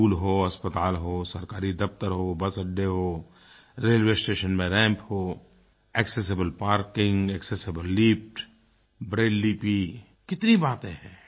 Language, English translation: Hindi, Be it schools, hospitals, government offices, bus depots, railway stations, everywhere ramps, accessible parking, accessible lifts, Braille, many amenities will be made available